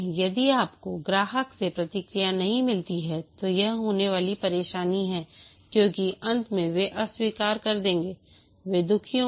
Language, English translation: Hindi, If you don't get feedback from the customer, this is trouble going to happen because at the end they will reject, they will be unhappy